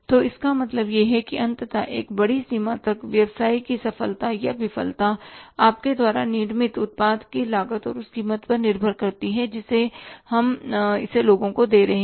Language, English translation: Hindi, So, means ultimately success or failure of the business to a larger extent depends upon the cost of the product we are manufacturing and the price at which we are passing it on to the people